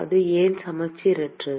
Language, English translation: Tamil, why is it non symmetric